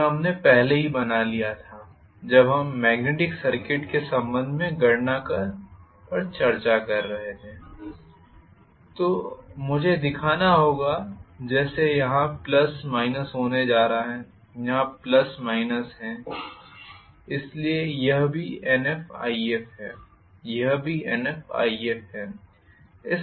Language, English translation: Hindi, This we drew it already when we were discussing with respect to the calculations in a magnetic circuit so I have to show it as though I am going to have plus minus here, plus minus here, so this is also Nf If this is also Nf If, this is how it is going to be,right